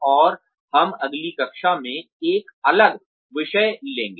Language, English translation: Hindi, And, we will take on a different topic in the next class